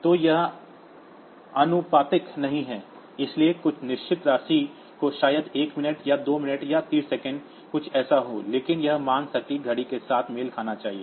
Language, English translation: Hindi, So, it is not proportional, so some fixed amount so maybe 1 minute or 2 minute or 30 seconds something like that so, but that value should match with the exact clock